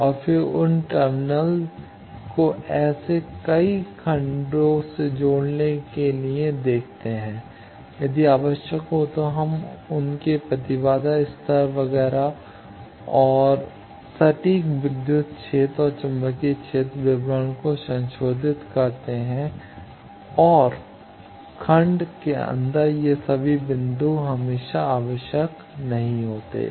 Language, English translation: Hindi, And then we interconnect those terminals to connect several such blocks, if required we modify their impedance levels etcetera and exact electric field and magnetic field description and all these points inside the block is not always necessary